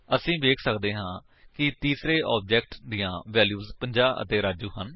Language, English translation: Punjabi, We can see that the third object contains the values 50 and Raju